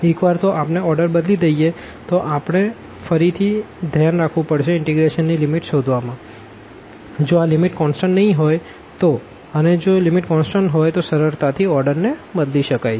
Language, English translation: Gujarati, Once we change the order again we need to be very careful about the finding the limits of the integration, if these limits are not constant; if the limits are constant one can simply change the order